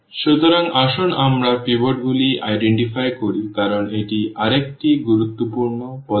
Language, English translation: Bengali, So, let us identify the pivots because that is another important step